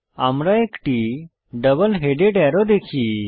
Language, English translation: Bengali, We see a double headed arrow